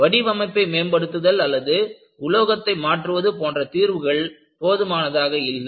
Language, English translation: Tamil, Your simple remedial solution like improving the design or changing material was not sufficient